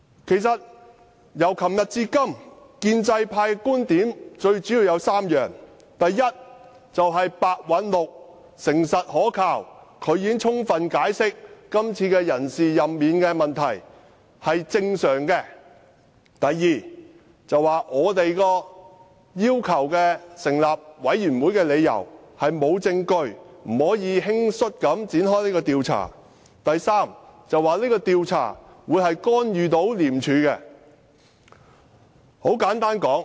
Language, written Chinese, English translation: Cantonese, 這兩天，建制派議員表達的觀點主要有3點：第一，白韞六誠實可靠，他已充分解釋，今次人事任免是正常的做法；第二，我們要求成立專責委員會的理由沒有證據支持，不可輕率地展開這項調查；第三，這項調查會干預廉署。, In these two days pro - establishment Members has made three main points First Simon PEH is honest and reliable and he has fully explained that the appointment and removal of officials is a normal practice; second the reasons given for setting up a select committee are not substantiated and we should not rashly conduct an investigation; third an investigation will interfere with ICAC